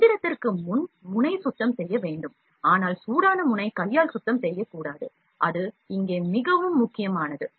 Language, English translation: Tamil, Nozzle cleaning has to be done before machining, but hot nozzle should not be cleaned with hand, that is very important here